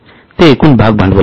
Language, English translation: Marathi, What is the share capital